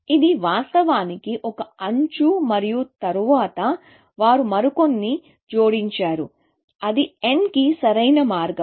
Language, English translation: Telugu, This of course, is one edge and then, they added some more; that is the optimal path to n